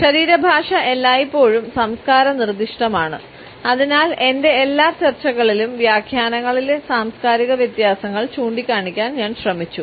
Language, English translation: Malayalam, Body language as always cultural specific and therefore, in all my discussions I have tried to point out the cultural differences in the interpretations